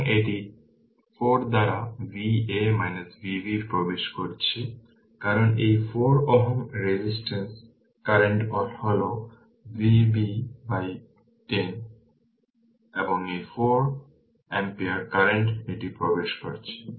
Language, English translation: Bengali, So, this current we saw it is entering V a minus V b by 4, because this 4 ohm resistance current through this is V b by 10 right and this 4 ampere current it is entering